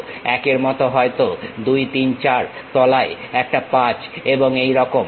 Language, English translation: Bengali, Similarly, 1 maybe, 2, 3, 4, a bottom 5 and so on